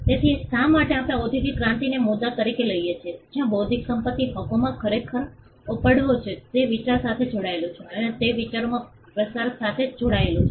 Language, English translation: Gujarati, So, the reason why we take the industrial revolution as the point where in intellectual property rights, actually took off is it was tied to idea and it was tied to dissemination of ideas